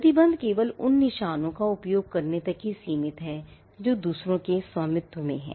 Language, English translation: Hindi, The restriction is only in confined to using marks that are owned by others